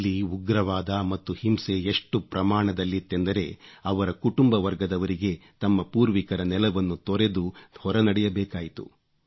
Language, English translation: Kannada, Terrorism and violence were so widespread there that his family had to leave their ancestral land and flee from there